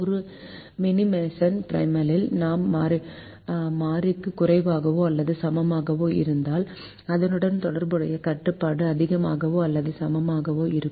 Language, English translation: Tamil, so if the primal is a minimization problem, if i have a greater than or equal to variable, then the corresponding dual constraint will be less than or equal to constraint